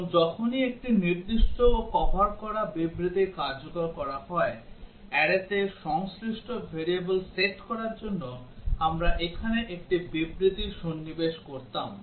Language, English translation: Bengali, And whenever a specific statement is covered is executed, we would have inserted a statement here to set the corresponding variable in the array